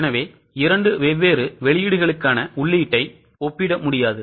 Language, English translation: Tamil, So, we cannot compare input which is for two different outputs